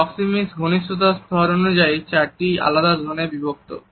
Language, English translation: Bengali, Proxemics is divided into four different zones of intimacy level